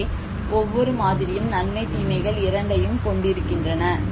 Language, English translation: Tamil, So that is how they are both pros and cons of each model